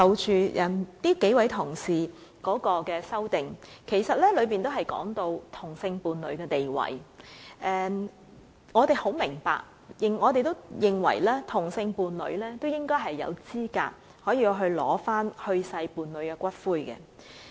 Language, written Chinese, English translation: Cantonese, 數位同事提出的修正案的內容均提及同性伴侶的地位，我們明白也認同同性伴侶應有資格領取去世伴侶的骨灰。, As for the amendments proposed by the several colleagues the status of same - sex partners is mentioned . We understand and agree that same - sex partners should be eligible to claim the ashes of their deceased partners